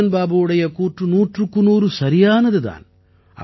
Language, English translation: Tamil, Ranjan babu is a hundred percent correct